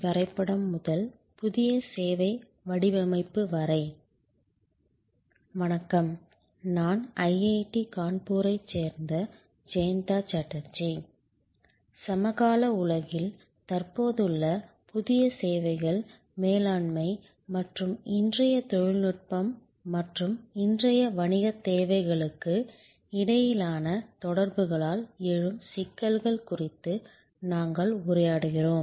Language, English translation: Tamil, Hello, I am Jayanta Chatterjee from IIT Kanpur, we are interacting on this existing new topic of services management in the contemporary world and the issues arising out of the interaction between today’s technology and today’s business imperatives